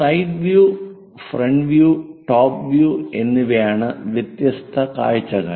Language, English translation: Malayalam, Different views are side view, front view and top view